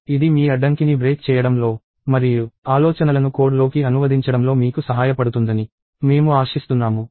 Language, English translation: Telugu, And I am hoping that, this will help you in breaking your barrier and being able to translate ideas into code